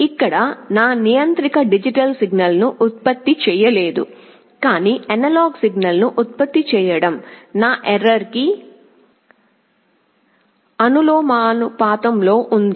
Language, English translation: Telugu, Here my controller is not generating a digital signal, but is generating an analog signal is proportional to my error